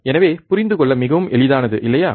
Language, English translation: Tamil, So, simple so easy to understand, right